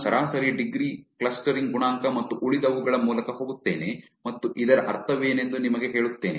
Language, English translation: Kannada, I will go through average degree clustering coefficient and the rest and tell you what does this is mean